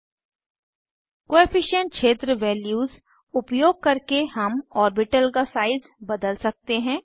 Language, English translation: Hindi, Using Coefficient field values, we can vary the size of the orbital